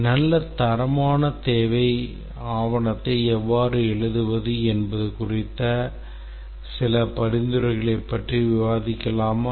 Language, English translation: Tamil, Let's just discuss a few suggestions on how to write good quality requirement document